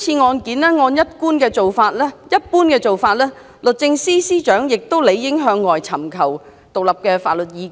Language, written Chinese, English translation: Cantonese, 按照慣常做法，律政司司長亦理應就今次的案件尋求外間的獨立法律意見。, As a usual practice the Secretary should have sought independent legal advice from outside on this current case